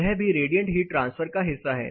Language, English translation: Hindi, This is also part of radiative heat transfer